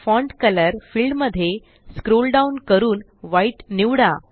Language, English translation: Marathi, In Font color field, scroll down and select White